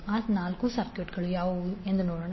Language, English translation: Kannada, Let us see what are those four circuits